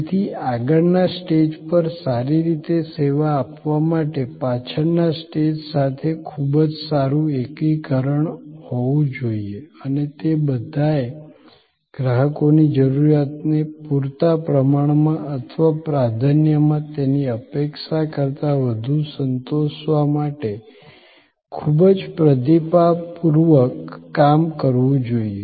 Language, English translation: Gujarati, So, to serve well on the front stage, that has to be a very good integration with the back stage and they have to be all working quite responsively to meet customers need adequately or preferably beyond his or her expectation